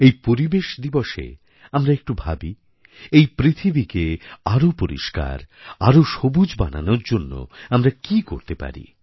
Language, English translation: Bengali, On this environment day, let all of us give it a good thought as to what can we do to make our planet cleaner and greener